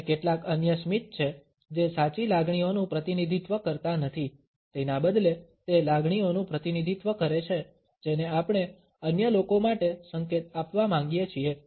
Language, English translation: Gujarati, And there are some other smiles which do not represent true feelings, rather they represent the emotion which we want to signal to others